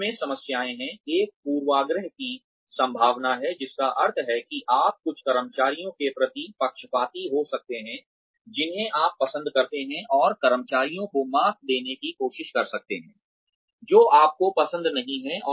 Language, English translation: Hindi, The problems in this are, one is a possibility of bias, which means that, you may get biased towards certain employees, who you like, and may try to weed out employees, that you do not like, so well